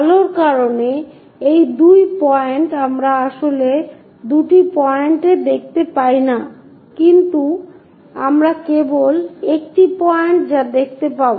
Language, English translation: Bengali, These two points because of light we cannot really see into two points, but only one point as that we will see